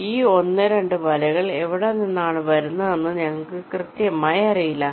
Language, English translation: Malayalam, so we do not know exactly from where this one and two nets are coming